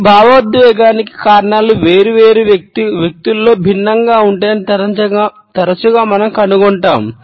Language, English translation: Telugu, Often we find that the reasons of this emotion are different in different people